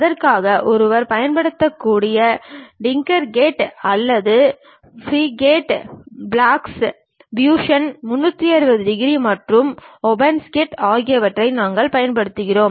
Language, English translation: Tamil, For that we are categorizing TinkerCAD one can use, or FreeCAD, Blocks, Fusion 360 degrees and OpenSCAD